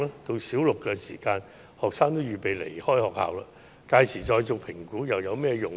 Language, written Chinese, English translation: Cantonese, 到小六時學生已預備離開學校，屆時才做評估又有甚麼作用？, Students will be poised to leave their school after Primary 6 . What will be the use if assessment is conducted at that time?